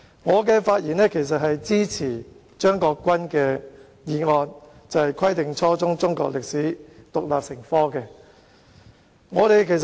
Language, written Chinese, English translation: Cantonese, 我發言支持張國鈞議員動議的"規定初中中國歷史獨立成科"的議案。, I speak in support of the motion on Requiring the teaching of Chinese history as an independent subject at junior secondary level moved by Mr CHEUNG Kwok - kwan